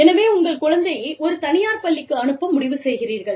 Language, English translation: Tamil, So, you decide to send your child, to a private school